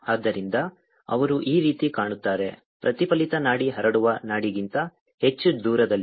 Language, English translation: Kannada, the reflected pulse is going to be much farther than the transmitted pulse